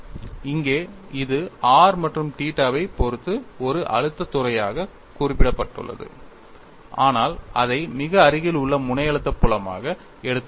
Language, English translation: Tamil, It is just mentioned as stress field in terms of r and theta, but take it as very near tip stress field